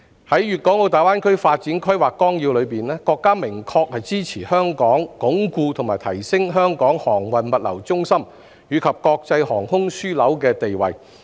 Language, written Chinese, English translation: Cantonese, 在《粵港澳大灣區發展規劃綱要》中，國家明確支持香港鞏固和提升香港航運物流中心及國際航空樞紐的地位。, In the Outline Development Plan for the Guangdong - Hong Kong - Macao Greater Bay Area the State explicitly supports Hong Kong in consolidating and enhancing its status as a shipping and logistics hub and an international aviation hub